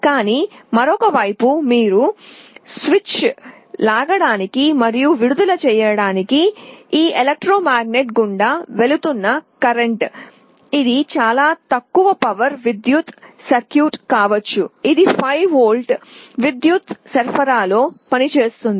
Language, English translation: Telugu, But on the other side the current that you are passing through this electromagnet to pull and release the switch, this can be a very low power circuit, this can be working at 5 volts power supply